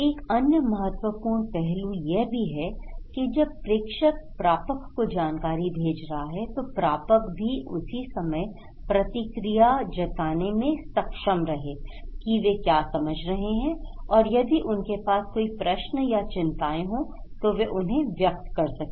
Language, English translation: Hindi, Another important aspect, when sender is sending informations to receiver, receiver will be same time able to feedback what they understand, what are the questions, concerns they have to the senders